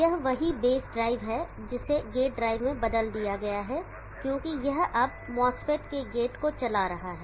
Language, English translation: Hindi, This is the same base drive which has been converted into a gate drive, because it is now driving the gate of the mass fit